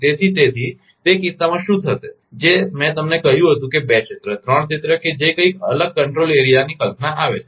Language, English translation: Gujarati, So, so in that case what will happen that I told you that E2 area, three area whatsoever the concept of concept of control area comes